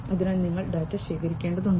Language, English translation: Malayalam, So, you have to collect the data